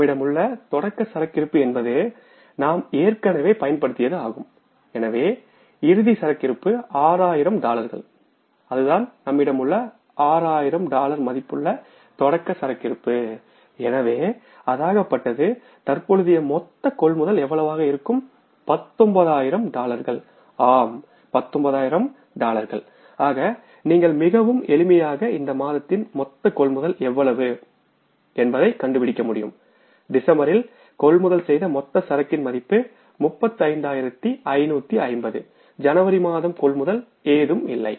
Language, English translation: Tamil, This is the opening inventory available with us is that is the we have already utilized this so this is the closing inventory 6,000 this is the opening inventory available with us 6,000 right so it means current amount of purchases is going to be how much 19,000 worth of dollars 19,000 worth of dollars so you could easily find out purchases to be made in the month of purchases of inventory to be made in the month of, purchases of inventory to be made in the month of December, that is 35,550